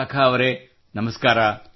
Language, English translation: Kannada, Vishakha ji, Namaskar